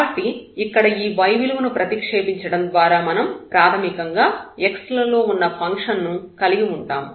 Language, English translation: Telugu, So, by removing this y from here we have basically this function of x